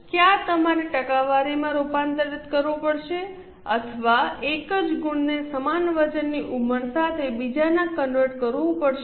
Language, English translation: Gujarati, Either you have to convert it into percentage or convert one marks into another with equal weightage